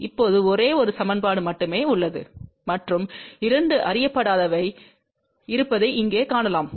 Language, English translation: Tamil, Now, you can see over here that there is only one equation ok and there are two unknowns